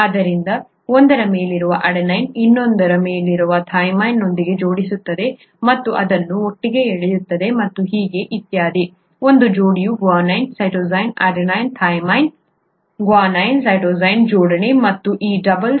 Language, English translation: Kannada, So the adenine on one will pair up with the cytosine of the other and pull it together and so on and so forth, the guanine of one pair with a cytosine adenine thymine, guanine cytosine pairing and this pairing gives the dual strands of the DNA a helical structure, okay